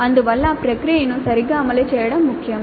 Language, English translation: Telugu, So, it is important to have the process implemented properly